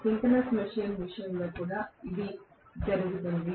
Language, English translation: Telugu, The same thing happens in the case of synchronous machine as well